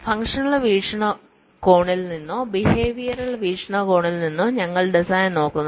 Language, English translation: Malayalam, we are looking at the design from either a functional point of view or from a behavioural point of view